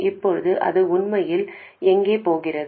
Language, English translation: Tamil, Now where does it really go